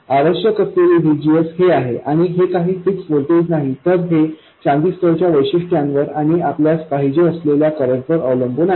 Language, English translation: Marathi, It is not this, some fixed voltage, but it is dependent on the transistor characteristics and the current that we want to have